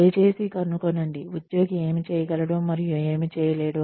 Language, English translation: Telugu, Please find out, what the employee can and cannot do